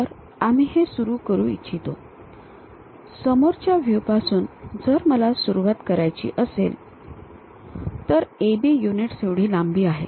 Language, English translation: Marathi, So, we would like to begin this one, from the front view if I would like to begin, then there is a length of A B units